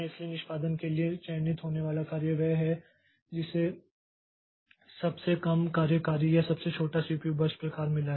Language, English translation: Hindi, So, the job to be selected next for execution is the one that has got the shortest execute, shortest CPU burst side